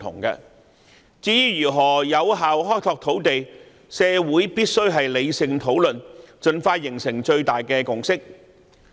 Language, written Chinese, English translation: Cantonese, 至於如何有效開拓土地，社會必須理性討論，盡快達成最大的共識。, Concerning how to effectively find more land society must hold rational discussion and reach the greatest consensus as soon as possible